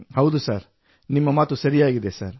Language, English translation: Kannada, Yes sir, it is right sir